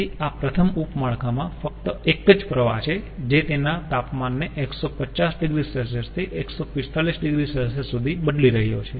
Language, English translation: Gujarati, so in this first sub network there is only one stream that is changing its temperature from one fifty to one forty five